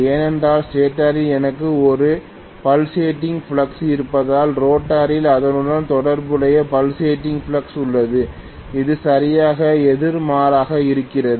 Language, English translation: Tamil, That is because I have a pulsating flux in the stator, I have a corresponding pulsating flux in the rotor, which is exactly opposite